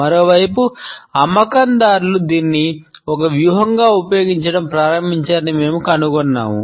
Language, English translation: Telugu, On the other hand, we find that salespeople have started to use it as a strategy